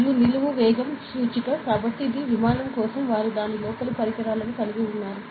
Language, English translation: Telugu, And vertical velocity indication, so this is for the aircraft they have instruments a inside it ok